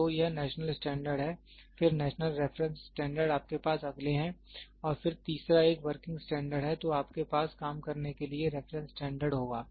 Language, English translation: Hindi, So, it is national standard, then national reference standards you have next one and then the third one is a working standard, then you will have reference standard for working